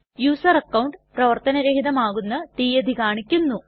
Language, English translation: Malayalam, Show the date on which the user account will be disabled